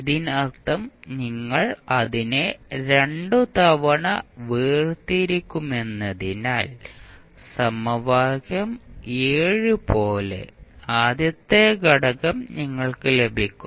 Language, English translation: Malayalam, That means that you will differentiate it twice so, you will get the first component